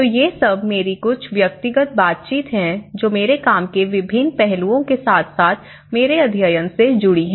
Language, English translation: Hindi, So, these are all my, some of my personal interactions with these or various other various aspects of my work and as well as my study